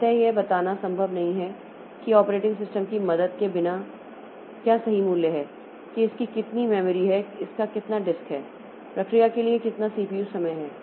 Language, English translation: Hindi, So it is not possible without the help of the operating system to tell what are the exact values, how much memory it was, it has used, how much disk it has used, how much CPU time it has used for a process